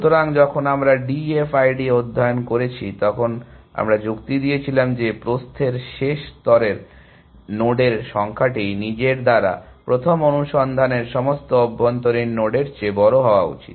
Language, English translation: Bengali, So, when we studied D F I D, we had argued that the number of nodes in the last layer of breadth first search by itself was must larger than all the internal nodes seen